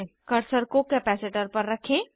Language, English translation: Hindi, Point the cursor on capacitor